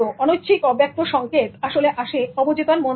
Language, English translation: Bengali, The involuntary non verbal cues, they actually come from the subconscious mind